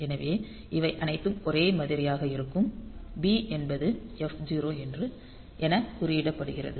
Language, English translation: Tamil, So, all these will be same b is coded as f 0